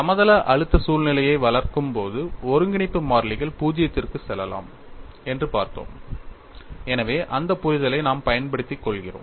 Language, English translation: Tamil, And while developing the plane stress situation, we have looked at the integration constants can go to zero so we take advantage of that understanding